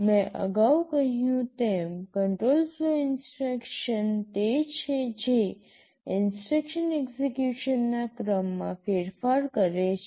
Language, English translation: Gujarati, As I had said earlier, control flow instructions are those that change the sequence of instruction execution